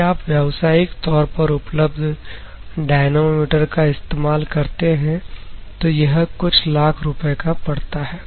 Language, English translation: Hindi, If at all you want to go for commercially available dynamometers normally it causes to few lakhs rupees